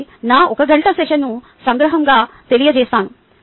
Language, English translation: Telugu, ok, so let me summarize, ah my one hour session